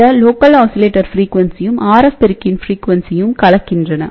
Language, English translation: Tamil, So, that local oscillator and the RF amplifier to frequencies mix up